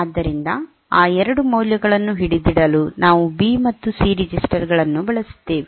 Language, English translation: Kannada, So, there we have used that B and C registers to hold those 2 values